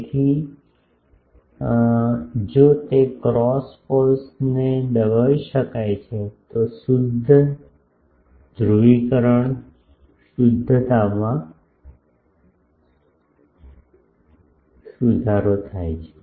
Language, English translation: Gujarati, So, if that cross poles can be suppressed, then the purity polarization purity improves